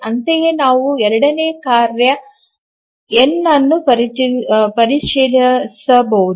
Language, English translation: Kannada, Similarly we can check for the second task